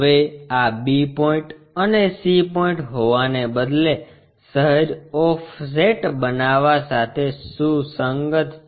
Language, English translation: Gujarati, Now, instead of having this b point and c point coinciding with slightly make an offset